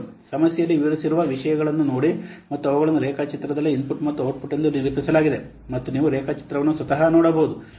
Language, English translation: Kannada, See those things are described in the problem as well as they have been also represented in the diagram as the input and output that you can look at the diagram and see yourself